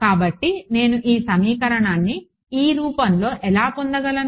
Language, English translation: Telugu, So, how do I get this equation in this form